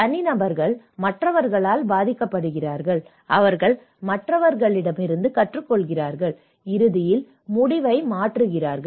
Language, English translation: Tamil, Individuals are influenced by others, learn from others and eventually, change the decision